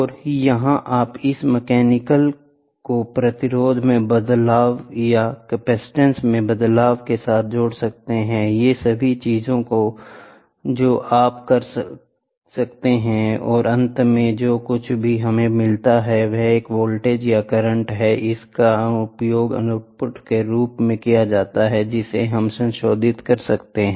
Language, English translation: Hindi, And here this mechanical can you can link this mechanical with a change in resistance, change in capacitance, all these things you can do and finally, what we get is a voltage or current whatever, it is will be used as the output which you can modify